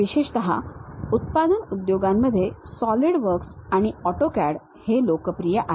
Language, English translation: Marathi, Especially, in manufacturing industries Solidworks and AutoCAD are the popular choices